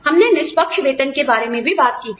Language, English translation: Hindi, We talked about, fair pay